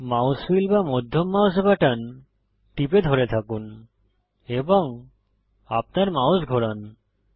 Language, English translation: Bengali, Press and hold mouse wheel or middle mouse button and move your mouse